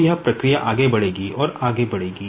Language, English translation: Hindi, So, this process will go on and go on